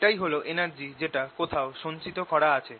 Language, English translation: Bengali, this is the energy which is stored somewhere